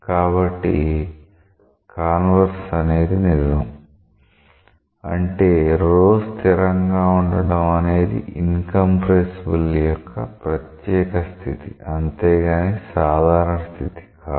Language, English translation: Telugu, So, the converse is true; that means, rho is a constant is a special case of incompressible flow, but it is not a general case